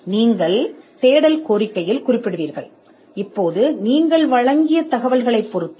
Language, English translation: Tamil, Now the search or the quality of the search will depend on the information that you have supplied